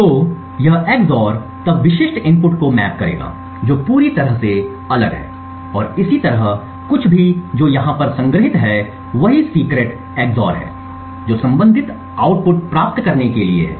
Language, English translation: Hindi, So, this EX OR would then map specific input to something which is totally different and similarly anything which is stored over here that same secret is EX OR back to obtain the corresponding output